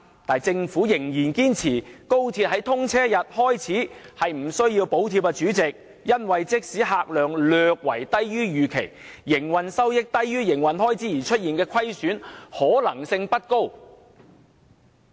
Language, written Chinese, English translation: Cantonese, 不過，政府仍然堅持高鐵自通車日開始並不需要補貼，因為"即使將來乘客量略低於預期，營運收益低於營運開支而出現營運虧損的可能性不高"。, However the Government still insisted that the operation of XRL can be sustained without subsidy after its commissioning because even if the patronage is slightly lower than expected it is unlikely that the operating revenue will drop below the operating cost and hence resulting in operating loss